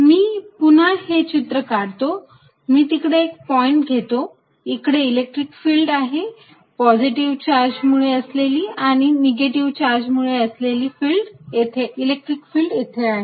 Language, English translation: Marathi, So, let me make this picture again, let me take any point, let us say point out here, here is electric field due to positive charge and here is electric field due to negative charge